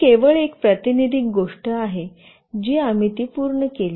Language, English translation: Marathi, This is just a representative thing that we have done it